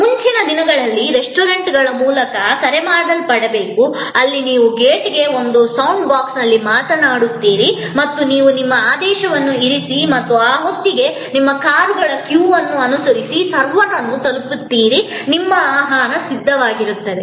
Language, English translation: Kannada, Earlier, there is to be the so called drive through restaurants, where you came to the gate and spoke into a sound box and you place your order and by the time, you reach the server following the queue of cars, your order was ready